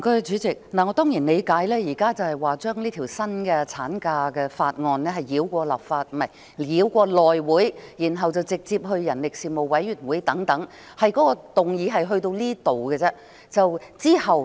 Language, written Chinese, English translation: Cantonese, 主席，我當然理解現時討論的是把這項《條例草案》繞過內會，然後直接交付人力事務委員會等，議案內容只此而已。, President of course I understand that the motion currently under discussion is all about allowing this Bill to bypass the House Committee and then referring it directly to the Panel on Manpower and so on